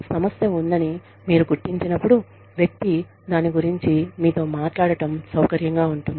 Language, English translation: Telugu, When you acknowledge, that a problem exists, the person will feel comfortable, talking to you about it